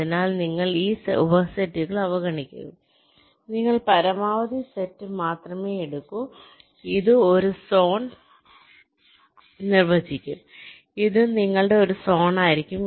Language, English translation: Malayalam, so you ignore this subsets, you only take the maximal set and this will define one zone